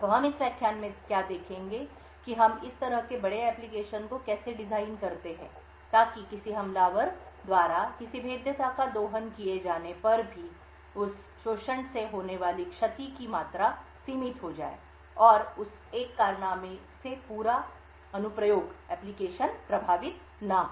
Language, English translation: Hindi, So what we will look at in this lecture is how we design such large application so that even if a vulnerability gets exploited by an attacker, the amount of damage that can be caused by that exploit is limited and the entire application would should not be affected by that single exploit